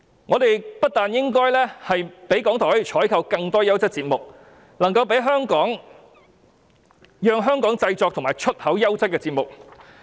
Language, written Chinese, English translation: Cantonese, 我們不單應該給予港台資源採購更多優質節目，更應讓他們製作及出口優質節目。, We should not only provide RTHK with resources for procuring more quality programmes but also enable it to produce quality programmes and sell them overseas